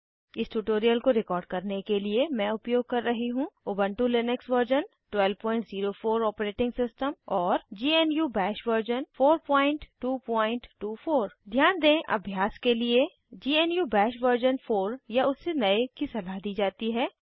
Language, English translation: Hindi, Through some examples To record this tutorial, I am using Ubuntu Linux version 12.04 Operating System and GNU BASH version 4.2.24 Please note, GNU bash version 4 or above is recommended to practice this tutorial